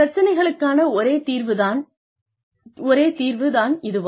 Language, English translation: Tamil, Is it the only solution, to the problem